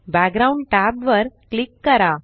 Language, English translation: Marathi, Click the Background tab